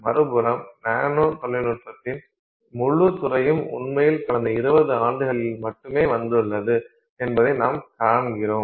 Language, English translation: Tamil, If you see on the other hand the whole field of nanotechnology has really come about only in the last say 20 years